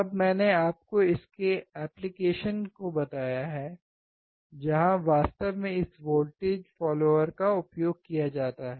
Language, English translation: Hindi, Then I have told you the application where exactly this voltage follower is used